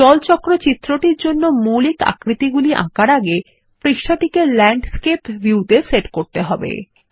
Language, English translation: Bengali, Before we draw the basic shapes for the water cycle diagram, let us set the page to Landscape view